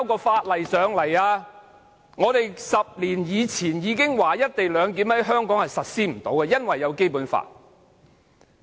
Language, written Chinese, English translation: Cantonese, 我們早在10年前便已指出"一地兩檢"無法在香港實施，因為有違《基本法》。, We pointed out as early as 10 years ago that implementing the co - location arrangement in Hong Kong would be impossible as it contravened the Basic Law